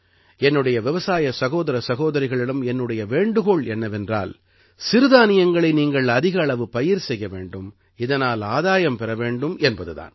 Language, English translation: Tamil, It is my request to my farmer brothers and sisters to adopt Millets, that is, coarse grains, more and more and benefit from it